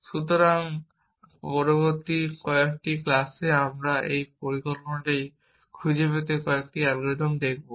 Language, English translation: Bengali, So, in a next couple of classes we will look at a few algorithms to find this plan